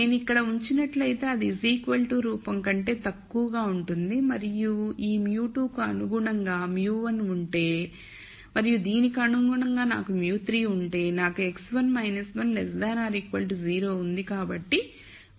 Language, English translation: Telugu, So, if I put this here this is into the less than equal to form and then corresponding to this if I have mu 1 corresponding to this mu 2 and corresponding to this I have mu 3 I have x 1 minus 1 is less than equal to 0 so you see that term here